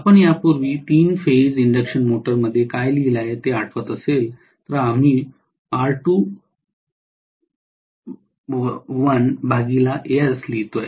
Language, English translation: Marathi, If you may recall what we wrote earlier in three phase induction motor, we used to write R2 dash by S